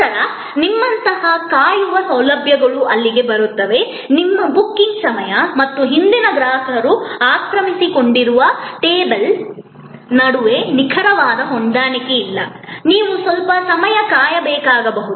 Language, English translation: Kannada, Then, waiting facilities like you arrive there, there is not an exact match between your time of booking and the table occupied by the previous set of customers, you may have to wait for little while